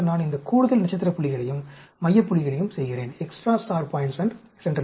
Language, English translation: Tamil, Then, I do these extra star points and central point